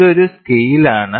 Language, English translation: Malayalam, This is a scale